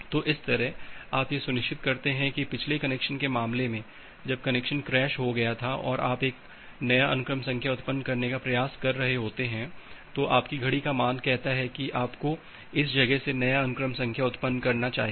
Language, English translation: Hindi, So, that way, you are ensuring that well in case of a previous connection, when the connection got crashed here and you are trying to generate a new sequence number, your clock value says that you should generate the new sequence number from this point